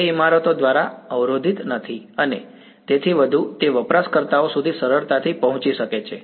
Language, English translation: Gujarati, So, that it is not blocked by buildings and so on, it can easily reach users ok